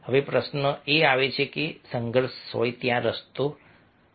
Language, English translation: Gujarati, now the question comes that, yes, if conflicts are there, is there any way